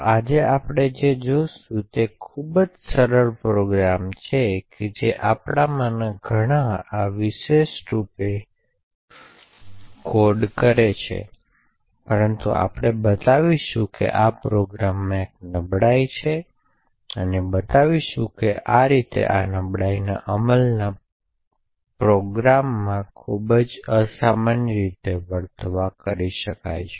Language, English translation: Gujarati, So what we will be seeing today is a very simple program which many of us actually code in this particular way but we will actually demonstrate that there is a vulnerability in this program and we will show how this vulnerability can be used to actually subvert execution or make the program behave in a very abnormal way